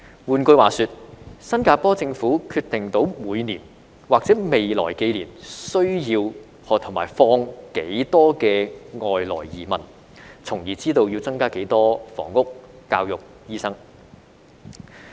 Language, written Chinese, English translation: Cantonese, 換句話說，新加坡政府能決定每年或未來幾年需要和引入多少外來移民，從而知道要增加多少房屋、教育和醫生。, In other words the Singaporean government can determine how many immigrants it needs or has to bring in each year and in the next few years so that it knows how many additional housing units school places and doctors are required